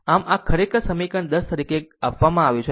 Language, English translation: Gujarati, So, this is actually given as equation 10